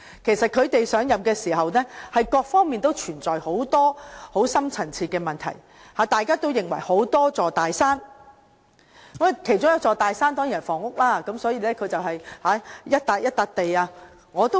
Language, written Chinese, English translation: Cantonese, 其實，在他們上任時，各方面都存在很多深層次問題，大家都認為有多座大山，其中一座大山當然是房屋問題，所以他便一塊一塊土地去做。, In fact there were all sorts of deep - rooted problems when they came into office and everyone recognized the mountains before us one of them was of course the mountain of housing problem . He thus tried to remove the mountain plot by plot